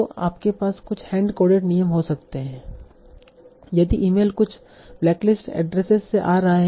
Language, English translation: Hindi, So you can have some hand coded rules like if the email is coming from some blacklist addresses